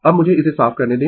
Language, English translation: Hindi, Now, let me clear it